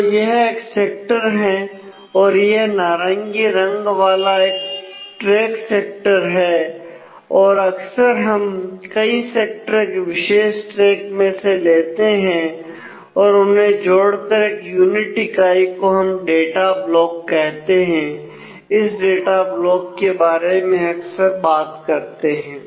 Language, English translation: Hindi, So, this is a track sector the orange one is a track sector and often we take multiple sectors from a particular track and combine them into one unit this is called the block of data and we will often talk about the block of data